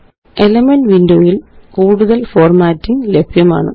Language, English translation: Malayalam, More formatting is available in the Elements window